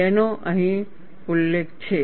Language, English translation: Gujarati, That is mentioned here